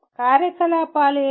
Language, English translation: Telugu, What are the activities